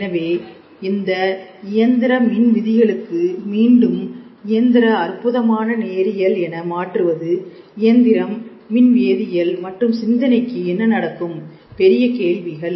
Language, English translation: Tamil, So, this conversion of mechanical to electro chemical to again mechanical, wonderful linear; what happens to mechanical, electro chemical, and thought big questions